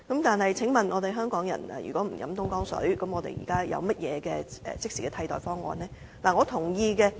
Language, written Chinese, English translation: Cantonese, 但是，請問香港人如果不喝東江水，又有何即時的替代方案呢？, However what is our immediate alternative if Hong Kong people do not consume Dongjiang water?